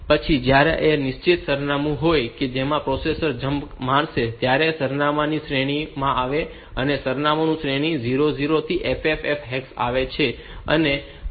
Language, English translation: Gujarati, So, then if there is a fixed address to which the processor will jump to, and that address range comes in this that address comes in this range 00 to ff hex and in that part